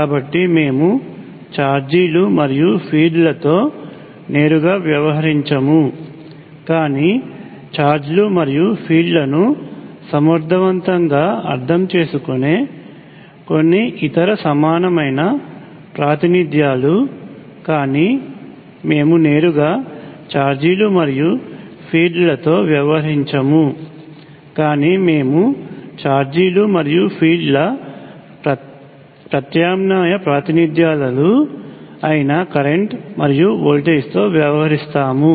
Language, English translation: Telugu, So it turns out that we will not directly deal with charges and fields, but some other equivalent representations which effectively mean charges and fields, but we would not directly deal with charges and field, but we will deal with currents and voltages alternative representations of charges and fields